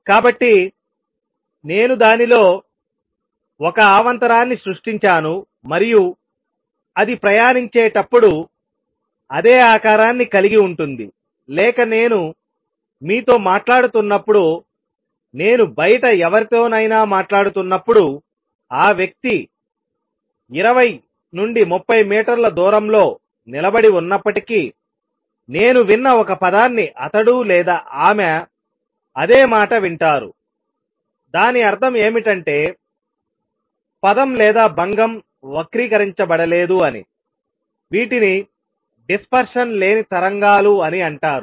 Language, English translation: Telugu, So, I kind of let say create a disturbance in it and as a travels it retains the same shape or when I am talking to you, when I am talking to somebody outside, even if the person is standing 20 30 meters away, if I have attired a word he hears or she hears the same word; that means, the word or the disturbance is not gotten distorted these are called dispersion less waves